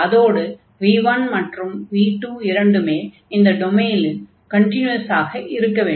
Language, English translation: Tamil, And this v 1 and v 2, they are the continuous functions